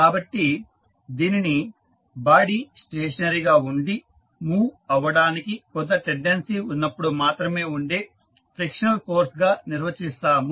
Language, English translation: Telugu, So, it is defined as a frictional force that exist only when the body is stationary but has a tendency of moving